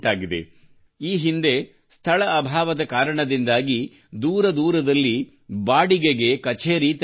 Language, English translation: Kannada, Earlier, due to lack of space, offices had to be maintained on rent at far off places